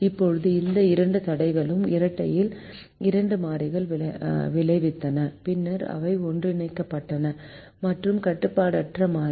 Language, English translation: Tamil, now these two constraints resulted in two variables in the dual which were subsequently merged into and unrestricted variable